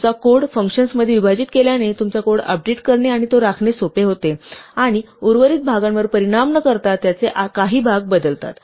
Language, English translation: Marathi, So, breaking up your code into functions makes it easier to update your code and to maintain it, and change parts of it without affecting the rest